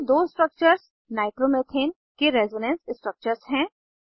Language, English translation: Hindi, The two structures are Resonance structures of Nitromethane.